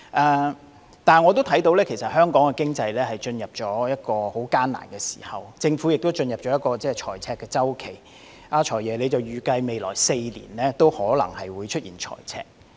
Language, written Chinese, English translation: Cantonese, 然而，我知道香港經濟進入了一個艱難時期，政府亦進入了財赤周期，"財爺"預計未來4年也可能出現財赤。, Yet I know that Hong Kongs economy is now having a difficult time and the Government is going through a deficit period as FS forecasts that a fiscal deficit may be recorded in the next four years